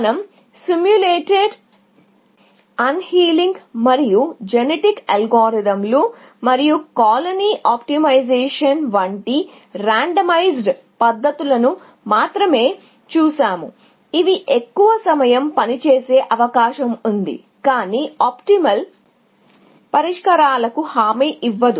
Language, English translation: Telugu, We only looked at randomized methods like simulated, unhealing and genetic algorithms, and colony optimization, which are likely to work most of the time, but not necessarily guarantee optimal solutions